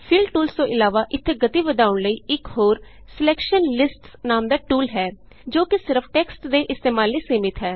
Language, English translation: Punjabi, Apart from Fill tools there is one more speed up tool called Selection lists which is limited to using only text